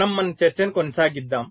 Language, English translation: Telugu, so we continue with our discussion